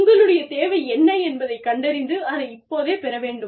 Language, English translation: Tamil, And, you need to figure out, what you need, and your need to get it, now